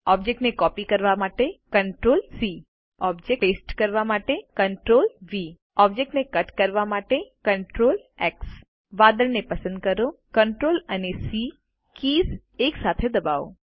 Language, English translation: Gujarati, CTRL+C to copy an object CTRL+V to paste an object CTRL+X to cut an object Select the cloud and press the CTRL and C keys together